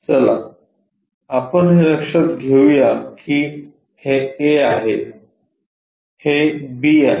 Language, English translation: Marathi, Let us note it a this this one is a, this one is b